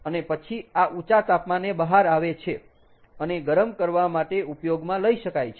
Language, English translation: Gujarati, and then this one comes out at an elevated temperature and can be used for heating